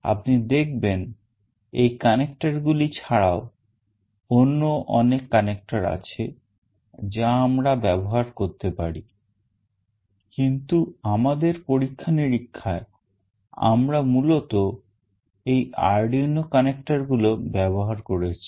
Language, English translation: Bengali, You can see that apart from these connectors there are many other connectors that can be used, but in our experiment we have mostly used these Arduino connectors